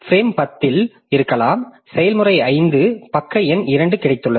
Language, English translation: Tamil, Maybe in frame 10 I have got process 5 page number 2